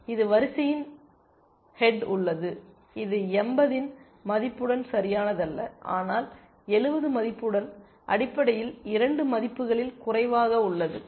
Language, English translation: Tamil, This is at the head of the queue sorry, this is not correct with the value of 80, but with value of 70 essentially the lower of the 2 values